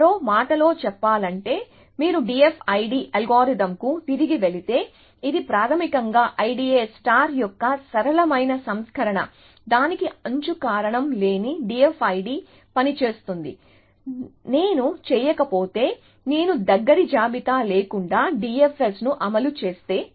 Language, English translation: Telugu, In other words, if you go back to the D F I D algorithm, which is basically a simpler version of I D A star that it does not have edge cause will D F I D work, if I do not, if I implement the D F S without a close list